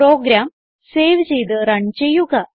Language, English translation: Malayalam, Save and Run the program